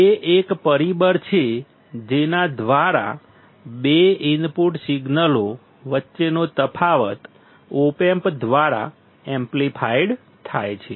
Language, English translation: Gujarati, It is a factor by which the difference between two input signals is amplified by the op amp